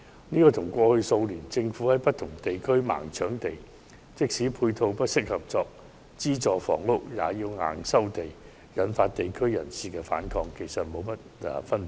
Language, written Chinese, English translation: Cantonese, 這與政府過去數年在不同地區"盲搶地"，即使配套不適合用作興建資助房屋，也硬要收地，引發地區人士反抗的情況，沒有多大分別。, This is not much different from the Governments irrational land - grabbing spree in various districts a few years back where lands―even those not suitable for constructing subsidized housing in respect of facilities―were resumed in a high - handed manner which sparked resistance from members of the districts concerned